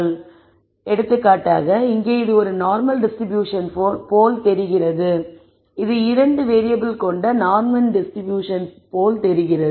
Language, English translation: Tamil, So, for example, here I could say this looks like a distribution; it looks like a normal distribution, in the two variables and so on